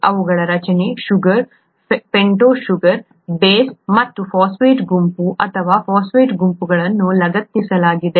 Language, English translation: Kannada, They have the structure, sugar, a pentose sugar, a base and a phosphate group or phosphate groups attached to it